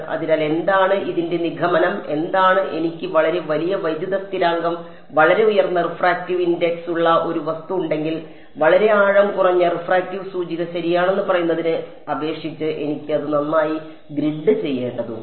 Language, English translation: Malayalam, So, what are the so, what is the sort of conclusion of this is that, if I have an object with a very large dielectric constant very high refractive index I need to grid it finer compared to let us say a very shallow refractive index ok